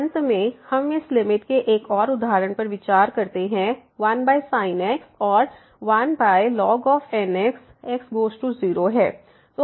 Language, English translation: Hindi, Finally we consider one more example of this limit 1 over and 1 over ; goes to 0